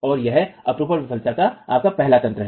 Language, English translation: Hindi, So, that's your first mechanism of shear failure